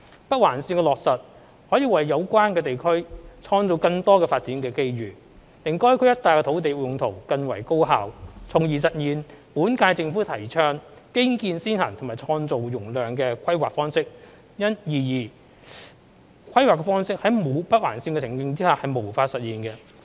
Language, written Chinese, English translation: Cantonese, 北環綫的落實可為有關地區創造更多發展機遇，令該區一帶的土地用途更為高效，從而實現本屆政府提倡"基建先行"及"創造容量"的規劃方式，而此規劃方式在沒有北環綫的情景下是無法實現的。, The implementation of NOL can create more development opportunities for the area concerned to improve the use of land in the vicinity of the area thereby realizing the infrastructure - led capacity creating planning approach advocated by the current - term Government . And yet this planning approach cannot be realized without NOL